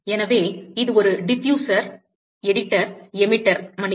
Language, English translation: Tamil, So, because it is a diffuser editor, emitter, excuse me